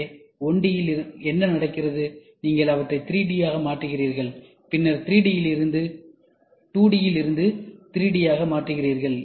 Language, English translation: Tamil, So, what happens from 1D, you convert them into 2D, and then from 2D you convert them into 3D